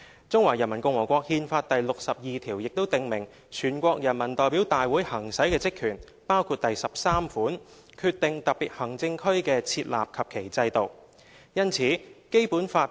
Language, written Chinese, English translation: Cantonese, 《中華人民共和國憲法》第六十二條亦訂明全國人民代表大會行使的職權，包括第項："決定特別行政區的設立及其制度"。, Article 62 of the Constitution of the Peoples Republic of China also stipulates the functions and powers exercised by the NPC including sub - paragraph 13 which reads [t]o decide on the establishment of special administrative regions and the systems to be instituted there